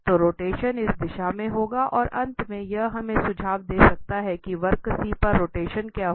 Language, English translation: Hindi, So, rotation will be in this direction and that finally will can suggest us what will be the rotation on the curve C